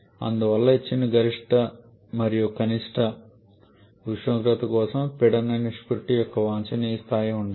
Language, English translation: Telugu, Therefore for a given maximum and minimum temperatures there has to be some kind of optimum level of this pressure ratio